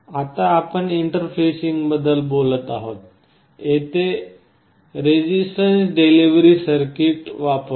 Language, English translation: Marathi, Now, talking about interfacing very typically we use some kind of a resistance divider circuit